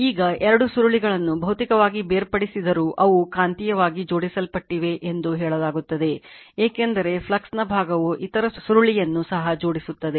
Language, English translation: Kannada, Now, although the 2 coils are physically separated they are said to be magnetically coupled right because , flux part of the flux is linking also the other coil